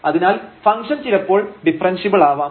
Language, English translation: Malayalam, And hence the given function is not differentiable